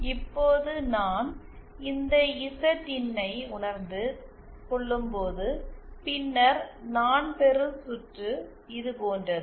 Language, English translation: Tamil, Now if I were to realise this Zin, then the kind of circuit that I get is like this